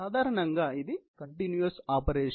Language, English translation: Telugu, Basically, it is a continuous operation